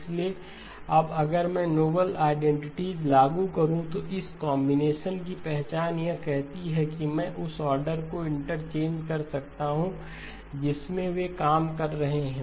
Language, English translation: Hindi, So now if I were to apply the noble identities, identity for this combination it says I can interchange the order in which they are done